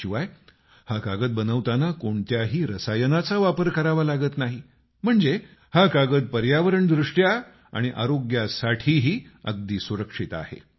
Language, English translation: Marathi, Besides, no chemical is used in making this paper, thus, this paper is safe for the environment and for health too